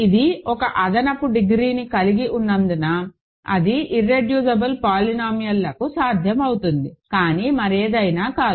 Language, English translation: Telugu, Because it has one additional degree, that is possible for irreducible polynomials, but not anything else